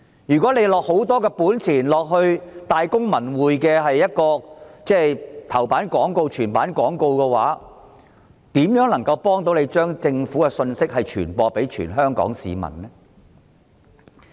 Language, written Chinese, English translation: Cantonese, 政府即使花費大筆金錢，在《大公報》及《文匯報》頭版刊登全頁廣告，是否就可有幫政府把信息傳播給全香港市民呢？, Even if the Government spends a large sum of money on a full front - page advertisement in Ta Kung Pao or Wen Wei Po the advertisement cannot help spread the message to all Hongkongers for the Government